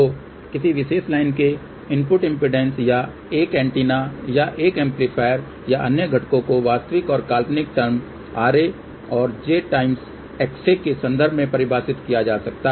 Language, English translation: Hindi, So, input impedance of any particular line or it can be of an antenna or an amplifier or other components can be defined in terms of real and imaginary terms R A and j X A